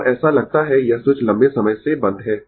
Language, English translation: Hindi, And it suppose this switch is closed for long time